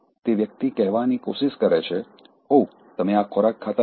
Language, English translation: Gujarati, The one trying to tell, oh, you don’t eat this food